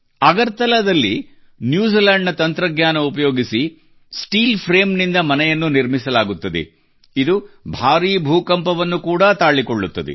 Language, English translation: Kannada, In Agartala, using technology from New Zealand, houses that can withstand major earthquakes are being made with steel frame